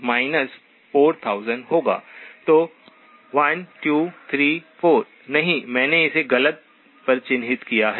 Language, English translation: Hindi, So 1 2 3 4, no I have marked it on the wrong one